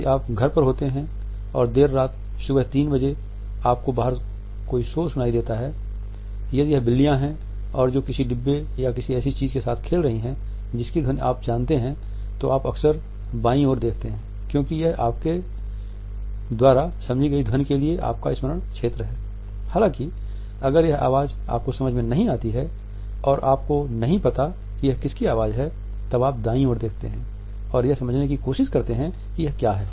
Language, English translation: Hindi, If you are at home late at night 3 O’ clock in the morning and you hear a noise outside if it is the cats playing around with bins or something that you know the sound of you quite often look to the side to the left because this is your recall side its a sound you understand and you know; however, if its a sound you do not understand and you do not know you look to the right and try and work out what